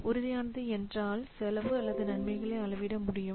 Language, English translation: Tamil, How easily you can measure the cost or the benefits